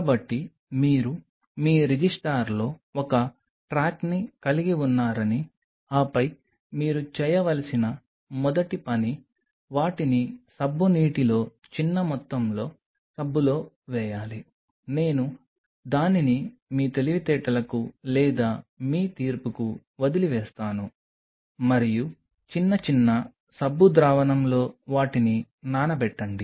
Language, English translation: Telugu, So, that you have a track in your register and then the first thing you should do you should put them in soap water small amount of soap just I will leave it to your intelligence or to your judgment and a small little soap solution soak them